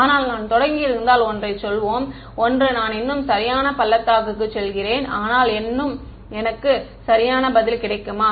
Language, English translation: Tamil, If I had started from let us say one one one, but I still go in to the correct valley, but I still get the correct answer